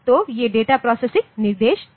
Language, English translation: Hindi, So, these are the data processing instructions